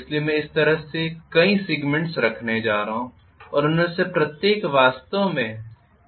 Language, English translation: Hindi, So I am going to have multiple segment like this and each of them is actually insulated with mica, do you get my point